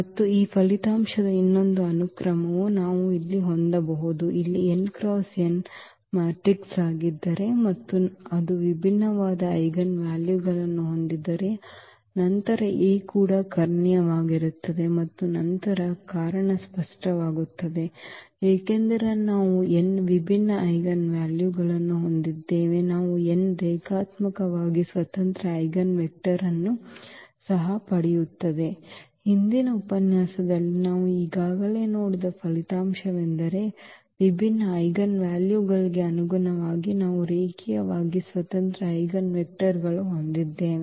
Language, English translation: Kannada, And another subsequence of this result we can we can have here if n is an n cross n matrix here A and it has n distinct eigenvalues, then also A is diagonalizable and then reason is clear, because if we have n distinct eigenvalues, then we will also get n linearly independent eigenvectors; that is a result we have already seen in previous lecture that corresponding to distinct eigenvalues we have a linearly independent eigenvectors